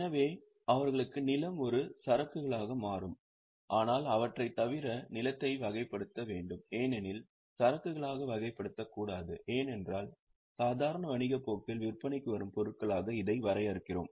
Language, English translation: Tamil, But other than them, then the land should be classified, should not be classified as inventory because we are defining it as items which are for sale in the normal course of business